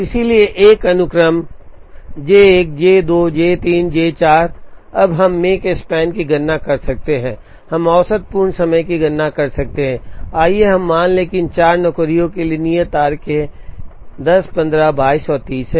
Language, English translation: Hindi, So, given a sequence J 1 J 2 J 3 J 4, we can now calculate the Makespan, we can calculate the mean completion time, let us assume that, the due dates for these 4 jobs are 10 15 22 and 30